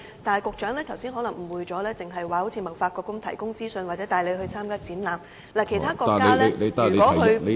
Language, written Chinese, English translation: Cantonese, 但是，局長剛才可能誤會了，只提到貿發局提供資訊或帶領中小企舉辦展覽。, However perhaps the Secretary was mistaken just now and only mentioned TDC providing information or leading SMEs to organize exhibitions